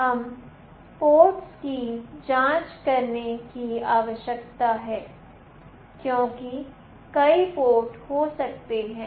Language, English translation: Hindi, We need to check the port as there can be many ports